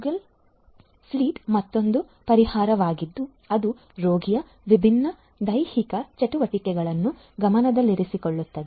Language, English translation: Kannada, Google Fit is another solution which keeps track of different physical activities of the patient